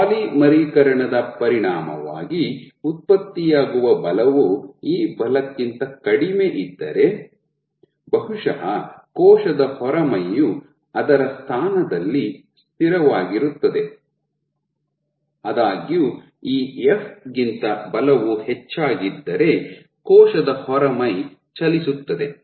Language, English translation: Kannada, So, if the polymerization the effect of polymerization the force generated as a consequence of polymerization is less than this force then probably the wall will remain fixed in its position; however, if the force is greater than this f then the wall will move